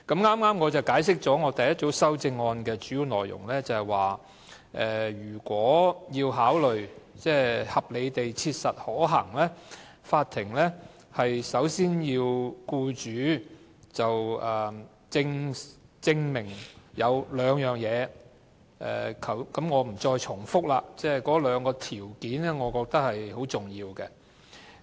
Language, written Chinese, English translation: Cantonese, 我剛才解釋了我第一組修正案的主要內容，便是如果要考慮復職是否合理地切實可行，法庭首先要僱主證明兩件事，我不重複了，但我覺得兩個條件均十分重要。, Just now I have already explained the main contents of my first group of amendments which is the court requires an employer to make two clarifications before considering whether it is reasonably practicable to reinstate an employee . I will not repeat the two conditions but I consider them very important